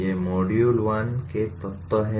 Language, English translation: Hindi, These are the elements of module 1